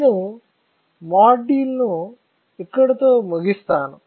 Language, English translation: Telugu, So, we will stop our module here